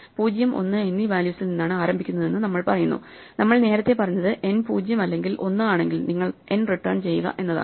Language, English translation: Malayalam, So, it says that you start from with value 0 and 1 to be the values themselves what we earlier said was that if n is 0 or 1 then you return n